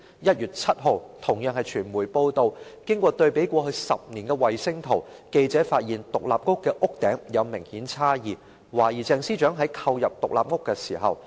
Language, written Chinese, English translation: Cantonese, 1月7日傳媒報道，經過對比過去10年的衞星圖，記者發現獨立屋的屋頂有明顯差異，懷疑鄭司長在購入該獨立屋後自行興建僭建物。, On 7 January the media reported that having detected obvious differences between the rooftop of the villa as shown in satellite images over the past 10 years journalists suspected that Ms CHENG erected the UBWs after purchasing the villa